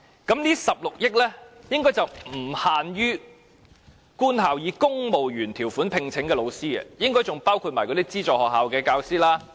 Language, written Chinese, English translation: Cantonese, 這16億元的追加撥款應該不只是用於官校以公務員條款聘請的教師的薪酬調整，應該還包括資助學校教師的薪酬調整。, This 1.6 billion supplementary appropriation is likely not only for the pay adjustment of teachers employed by government schools on civil service contracts but also for the pay adjustment of teachers of aided schools